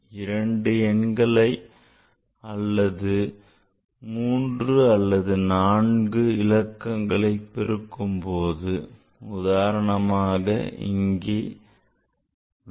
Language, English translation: Tamil, So, after multiplying two numbers, it can be three numbers, four numbers also